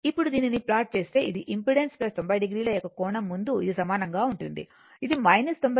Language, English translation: Telugu, Now, if you plot this one, this is same as before this is angle of a impedance plus 90 degree, this is minus 90 degree right